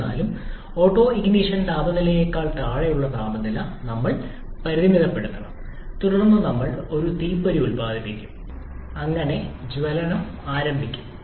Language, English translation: Malayalam, However, we have to limit the temperature below the autoignition temperature, then we produce a spark so that the combustion is initiated